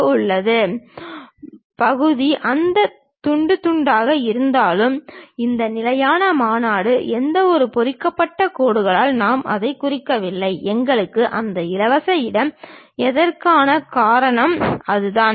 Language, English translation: Tamil, The flange portion, though it is slicing, but this standard convention is we do not represent it by any hatched lines; that is the reason we have that free space